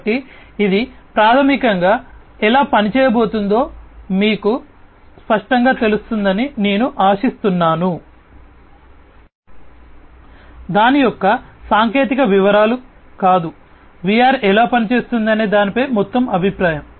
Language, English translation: Telugu, So, I hope that this basically makes it clearer to you how it is going to work, not I mean not the technical details of it, but an overall impression about how VR works